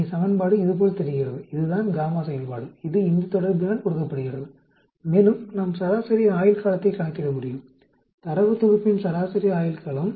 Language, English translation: Tamil, Here the equation looks like this, this is a gamma function which is given by this relationship and then we can also calculate median life, median life of this of a data set